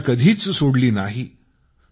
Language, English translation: Marathi, He never gave up hope